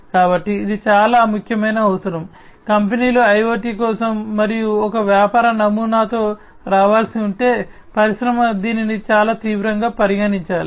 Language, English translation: Telugu, So, this is a very important requirement, if we have to come up with a business model for IoT the companies should, the industry should consider this very seriously